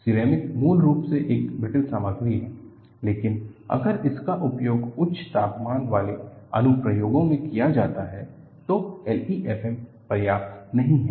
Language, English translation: Hindi, Ceramic is basically a brittle material, but if it is used in high temperature application, L E F M is not sufficient